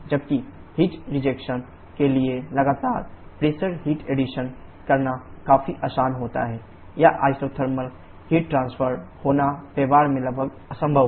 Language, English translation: Hindi, While it is quite easy to have constant pressure heat addition of heat rejection, it is nearly impossible in practice to have isothermal heat transfer